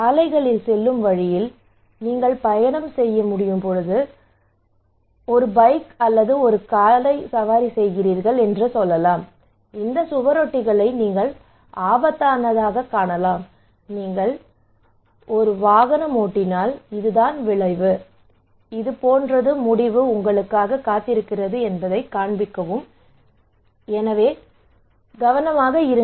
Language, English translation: Tamil, Okay that you can you are travelling you were riding bike, or you were riding car you can see on roads that these posters that is alarming you that if you do rash driving this is the consequence, this is the result is waiting for you so be careful okay